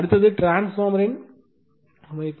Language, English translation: Tamil, Next is the little bit of construction of the transformer